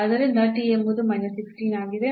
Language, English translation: Kannada, So, t is minus 16